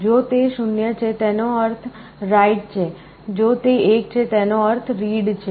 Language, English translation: Gujarati, If it is 0, it means write, if it is 1 it means read